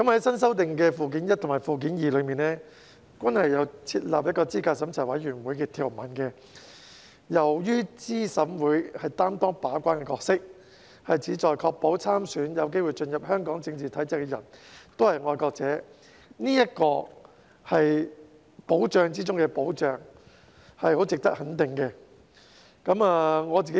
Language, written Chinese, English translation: Cantonese, 新修訂的《基本法》附件一及附件二均有設立資審會的條文，由於資審會擔當把關的角色，旨在確保參選、有機會進入香港政治體制的人都是愛國者，這是保障中的保障，是很值得肯定的。, There are provisions on the establishment of CERC in the newly amended Annexes I and II to the Basic Law . As CERC will take on a gate - keeping role with the aim of ensuring that candidates in elections and people who stand a chance of entering the political system of Hong Kong are patriots its establishment will provide the most important protection and merits our support